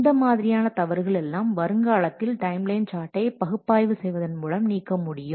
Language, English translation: Tamil, These errors also can be avoided in future by using by analyzing the timeline chart